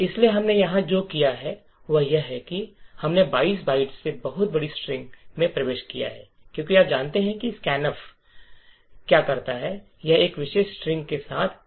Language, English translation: Hindi, So, what we have done here is we have entered a very large string much larger than 22 bytes as you know what is scanf does is that it would fill the buffer 2 with this particular string